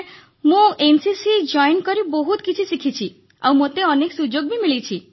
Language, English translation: Odia, Sir NCC taught me a lot, and gave me many opportunities